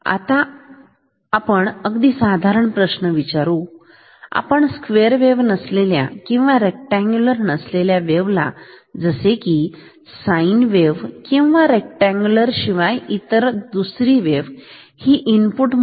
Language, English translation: Marathi, Now, let us ask a more general question can we measure frequency of a non square or non rectangular waves like sine wave or other non rectangular can I do that